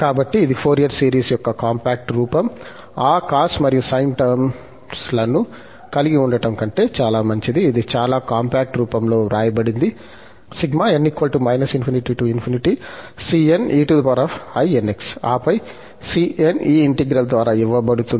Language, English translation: Telugu, So, this is the compact form of the Fourier series, much better than having those cos and sine, it is written in a very compact form cn e power inx, and then the cn will be given by this integral